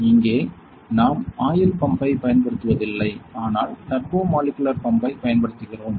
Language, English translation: Tamil, Here we are not using the oil pump, but we are using the turbomolecular pump